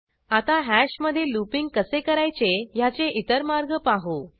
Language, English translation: Marathi, Now let us see few other ways of looping over hash